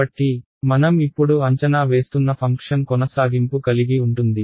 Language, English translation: Telugu, So, my function that I am approximating now is continuous